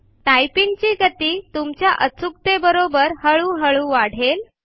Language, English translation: Marathi, And gradually increase your typing speed and along with it your accuracy